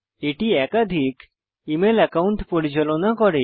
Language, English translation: Bengali, It also lets you manage multiple email accounts